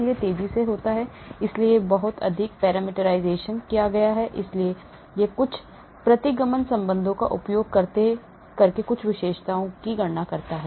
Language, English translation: Hindi, it is faster so lot of parameterization has been done, so it calculates certain features using some regression relationship